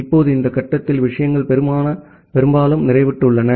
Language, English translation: Tamil, Now at this point, the things gets mostly saturated